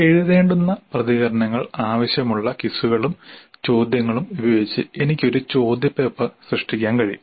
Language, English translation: Malayalam, I could create a question paper with quizzes and questions which require written responses